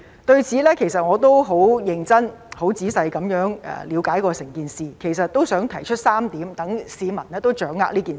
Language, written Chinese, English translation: Cantonese, 對此，其實我也十分認真和仔細了解整件事，並想提出3點讓市民掌握這件事。, In this regard I have tried to understand the whole matter very seriously and thoroughly . I would like to raise three points for members of the public to grasp this matter